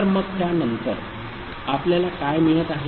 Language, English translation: Marathi, So, after that what we are getting